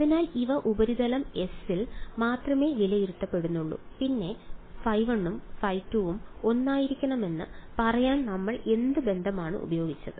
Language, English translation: Malayalam, So, these were only being evaluated on the surface S and then what relation did we use to say that phi 1 and phi 2 should be the same